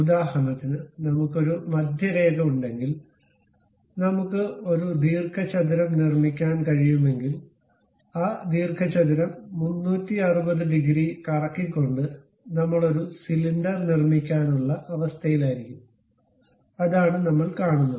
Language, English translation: Malayalam, For example, if we have, if I have a centre line, if I can construct a rectangle, rotating that rectangle by 360 degrees also, we will be in a position to construct a cylinder and that is the thing what we will see